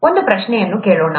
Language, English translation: Kannada, Let’s ask the question